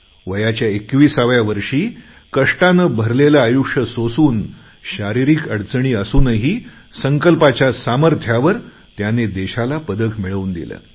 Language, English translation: Marathi, Yet despite facing all sorts of difficulties and physical challenges, at the age of 21, through his unwavering determination he won the medal for the country